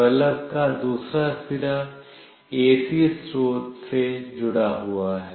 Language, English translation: Hindi, The other end of the bulb is connected to the AC source